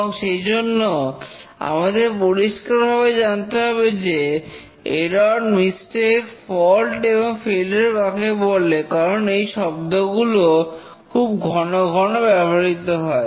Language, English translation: Bengali, And therefore, we must know what is a error, mistake, fault, failure, because these are the terms that are frequently used in this area